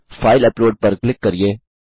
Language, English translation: Hindi, Click file upload